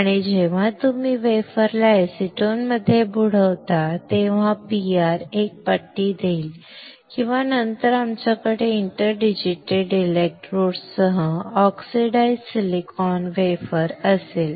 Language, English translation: Marathi, And when you dip the wafer in acetone the PR will give a strip, and then we will have the oxidized silicon wafer with interdigitated electrodes